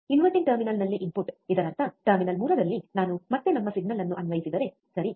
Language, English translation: Kannada, The input at non inverting terminal; that means, at terminal 3 if I again apply our signal, right